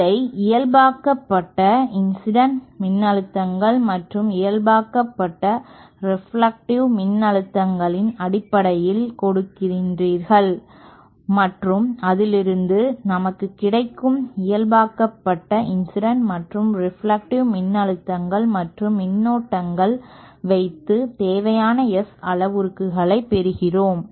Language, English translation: Tamil, And then further you expand a normalized currents and normalized voltages in terms of the normalized incident voltages and the normalized reflective voltages and then from that we get the normalized the incident and normalized incident and reflected voltages and currents to find out the required S parameters